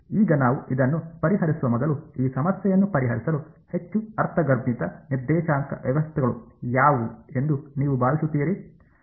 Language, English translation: Kannada, Now, let us before we get into solving this, what do you think is the most sort of intuitive coordinate systems to solve this problem